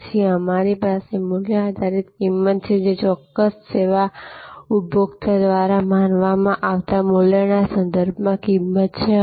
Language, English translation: Gujarati, Then, we have value base pricing; that is pricing with respect to the value perceived by the consumer for that particular service